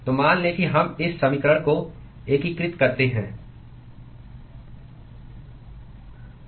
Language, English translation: Hindi, So, let us say we integrate this equation